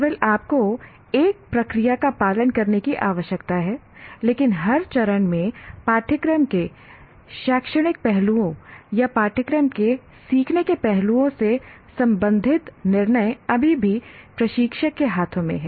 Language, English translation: Hindi, Only you follow the process, but at every stage the decisions related to academic aspects of the course or learning aspects of the course are still in the hands of the instructor